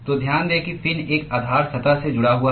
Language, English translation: Hindi, So, note that the fin is attached to a base surface